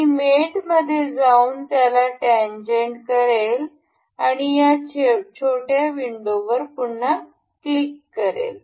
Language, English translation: Marathi, I will go to mate in this tangent, we click on this small window again